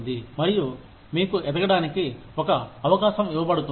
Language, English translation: Telugu, And, you are given an opportunity, to grow